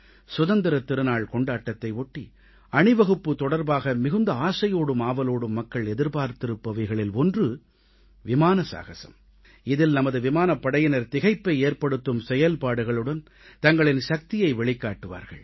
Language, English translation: Tamil, One of the notable features eagerly awaited by spectators during the Republic Day Parade is the Flypast comprising the magnificent display of the might of our Air Force through their breath taking aerobatic manoeuvres